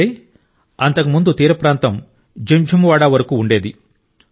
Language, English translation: Telugu, That means, earlier the coastline was up to Jinjhuwada